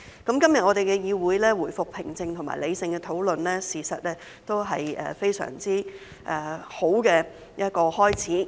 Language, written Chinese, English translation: Cantonese, 今天我們的議會回復平靜和理性討論，事實上也是一個相當好的開始。, The resumption of calm and rational discussion in this Council today is in fact a rather good start